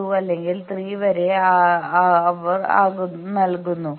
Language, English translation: Malayalam, 2 or 3 something they are giving